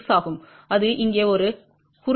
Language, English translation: Tamil, 096 and that is a short here